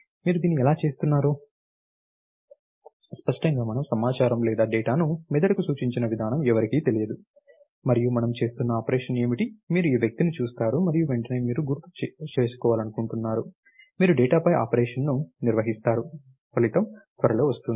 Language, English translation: Telugu, How you doing this, clearly the way we have represented the data are information the brain is not known to anybody, and what is a operation that we are performing, you see this person and immediately you want to recollect, you perform in operation on the data, the result come soon